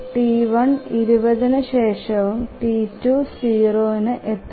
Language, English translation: Malayalam, T1 arrives only after 20 and T2 arrives at 0